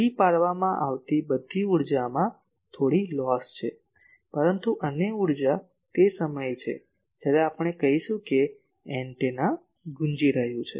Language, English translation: Gujarati, All the energy that is given provided there is some loss, but other energy is there that time we say that antenna is resonating